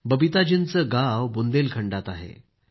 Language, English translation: Marathi, Babita ji's village is in Bundelkhand